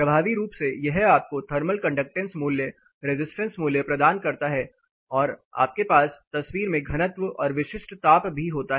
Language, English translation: Hindi, Effectively this gives you the thermal conductance value resistance value, so then you also have the density as well as specific heat into peaks in the pictures